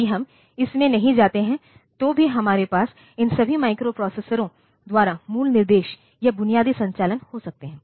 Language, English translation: Hindi, If we do not go into that even then this we can have the basic instructions or basic operations by all these microprocessors